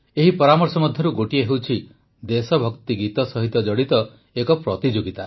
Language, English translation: Odia, One of these suggestions is of a competition on patriotic songs